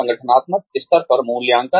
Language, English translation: Hindi, Assessment at the organizational level